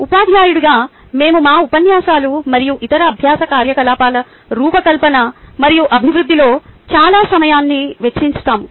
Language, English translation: Telugu, as a teacher, we spend lot of time in designing and developing our lectures and other learning activities